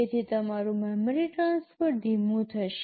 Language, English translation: Gujarati, So, your memory transfer will become slower